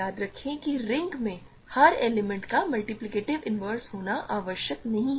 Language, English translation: Hindi, Remember in a ring not every element is required to have a multiplicative inverse